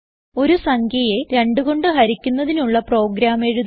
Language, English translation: Malayalam, We shall write a program that divides a number by 2